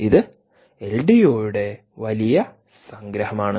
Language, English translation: Malayalam, this is the big summary of the ldo